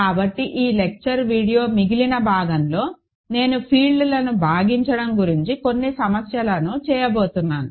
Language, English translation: Telugu, So, in the remainder of this lecture video, I am going to do some problems about splitting fields